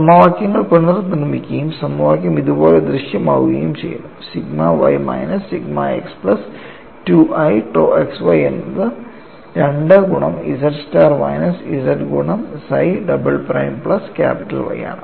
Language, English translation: Malayalam, Now, you can replace chi double prime in terms of psi double prime and y the equations are recast and the equation appear like this, sigma y minus sigma x plus 2i tau xy equal to 2 into z star minus z multiplied by psi double prime plus capital Y